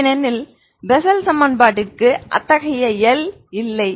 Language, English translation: Tamil, Because for Bessel equation there is no such L